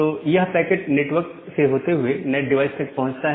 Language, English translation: Hindi, So, that packet traverses to the network and reaches to the NAT device